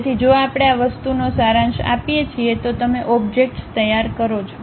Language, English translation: Gujarati, So, if we are going to summarize this thing, you prepare the objects